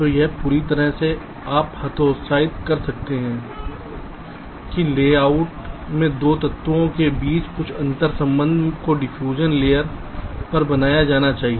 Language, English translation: Hindi, so it is absolutely, you can say, discouraged that some interconnection between two, two elements in the layout should be made on the diffusion layer